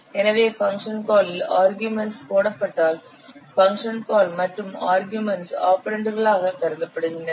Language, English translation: Tamil, So, whenever you are putting the arguments where in a function call, the arguments of the function call, they are considered as operands